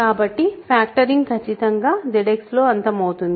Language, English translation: Telugu, So, factoring definitely terminates in Z X